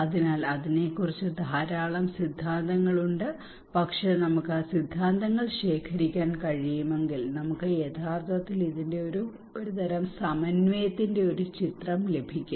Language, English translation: Malayalam, So there are a lot of theories on that, but if we can accumulate those theories summarise them we can actually get a picture of a kind of synthesis of this one